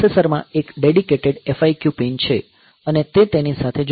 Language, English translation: Gujarati, So, there is a dedicated FIQ pin in the processor and it is connected to that